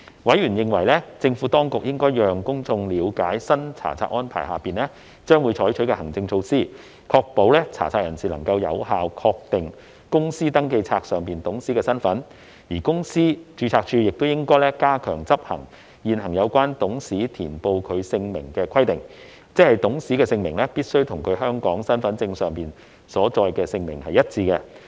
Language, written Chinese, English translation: Cantonese, 委員認為，政府當局應讓公眾了解新查冊安排下將會採取的行政措施，確保查冊人士能夠有效確定公司登記冊上的董事身份，而公司註冊處亦應加強執行現行有關董事填報其姓名的規定，即董事姓名必須與其香港身份證上所載的姓名一致。, Members opined that the Administration should enable the public to understand the administrative measures to be adopted under the new inspection regime to ensure that searchers could ascertain the identity of directors on the Register effectively and that the Companies Registry should step up the monitoring of the current requirement that the name of a director stated must be the same as that in hisher Hong Kong Identity Card